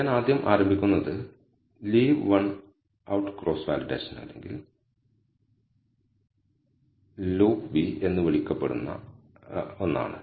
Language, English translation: Malayalam, So, I will first start with, leave one out cross validation or what is called LOOCV